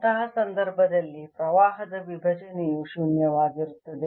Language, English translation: Kannada, in that case divergence of the current would be zero